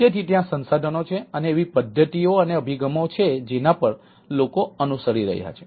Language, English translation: Gujarati, so there are, there are ah research and or there are methods and approaches people are following there